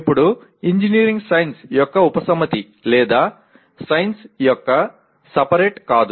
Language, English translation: Telugu, Now, engineering is not a subset of science nor a superset of science